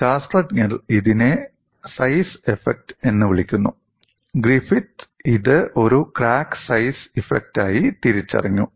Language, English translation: Malayalam, And what scientists were coining it as size effect, was identified by Griffith as indeed a crack size effect